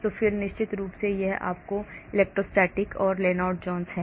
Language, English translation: Hindi, and then of course this is your electrostatic and this is Lennard Jones,